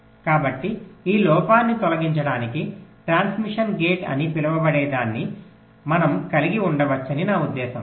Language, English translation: Telugu, so to remove this drawback, i mean we can have something called as transmission gate